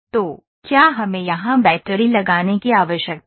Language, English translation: Hindi, So, do we need to put battery in here